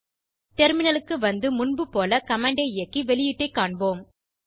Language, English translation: Tamil, Switch to the terminal and run the command like before and see the output